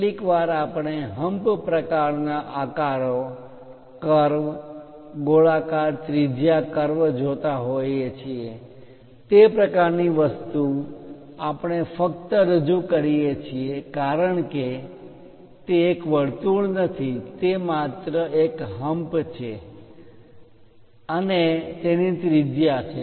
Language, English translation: Gujarati, Sometimes we see hump kind of shapes, curves circular radius curves that kind of thing we only represent because it is not a circle, it is just a hump and it has a radius